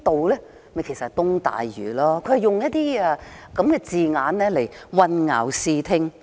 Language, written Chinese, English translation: Cantonese, 其實就是東大嶼，它便是用這些字眼混淆視聽。, Actually it is East Lantau and they are using these words to confuse and mislead the people